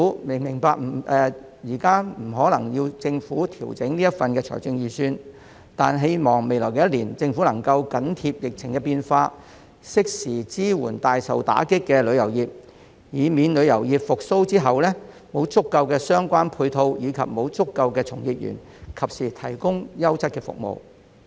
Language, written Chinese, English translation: Cantonese, 我明白現時不可能要求政府調整預算案，但希望未來一年政府能夠緊貼疫情變化，適時支援大受打擊的旅遊業，以免在旅遊業復蘇後，沒有足夠的配套和從業員及時提供優質服務。, I understand that it is impossible to ask the Government to make adjustment to the Budget now but I do hope that the Government can keep abreast of changes to the epidemic situation and provide timely support to the hard - hit tourism industry in the coming year so as to prevent a possible failure to provide quality service timely due to insufficient support and practitioners upon the revival of the industry